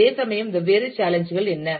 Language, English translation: Tamil, And what are the different challenges